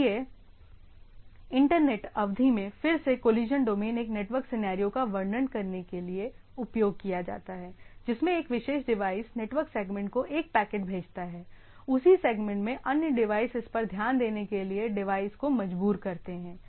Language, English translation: Hindi, So, again collision domain in Internet term used to described a network scenario in which one particular device sends a packet to the network segment, forcing other devices in the same segment to pay attention to it